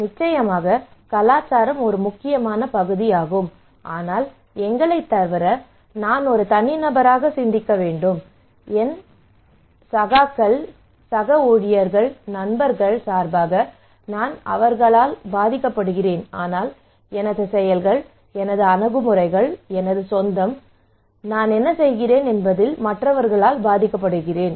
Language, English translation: Tamil, Of course culture is an important part, but apart from we, also I have a mind of individual, I am part of my neighbour, I am part of my colleague, co workers, I am part of my friends, I am influenced by them but my actions my attitudes are my own I am also influenced by others what I do okay